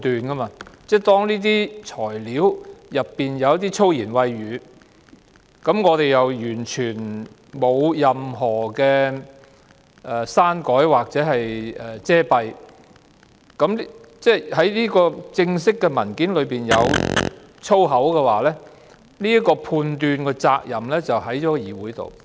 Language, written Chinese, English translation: Cantonese, 當這些材料中夾雜一些粗言穢語，又完全沒有任何刪改或遮蔽，之後這份正式文件中出現粗言穢語，判斷的責任就在議會。, When these materials are tainted with some foul language without any deletion or redaction at all and then the foul language appears in this official paper the responsibility to make a judgment lies upon the Council